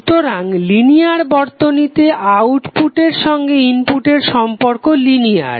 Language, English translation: Bengali, So in the linear circuit the output is linearly related to it input